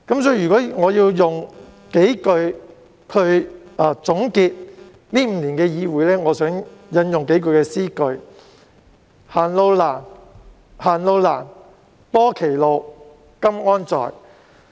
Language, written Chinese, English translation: Cantonese, 如果我要用數句話來總結這5年的議會生涯，我想引用數句詩句："行路難，行路難，多歧路，今安在？, If I am to summarize my parliamentary life over these five years in a few utterances I think I may quote several lines from a poem which go Hards the road; Hards the road; The paths split down the road . Where have you gone?